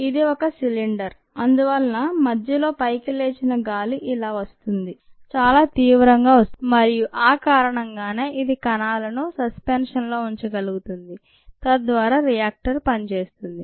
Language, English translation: Telugu, this is the outer cylinder and therefore air rises through the center, comes like this quite vigorously and because of that it is able to keep the cells in suspension and there by the reactor operates